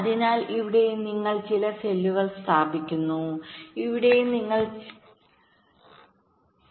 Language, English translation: Malayalam, suppose you place some cells across the rows, so here also you place some cells, here also you place some cells